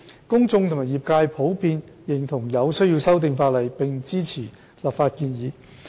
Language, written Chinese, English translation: Cantonese, 公眾和業界普遍認同有需要修訂法例，並支持立法建議。, Both the public and the trade generally agreed to the need to amend the Ordinance and supported the legislative proposals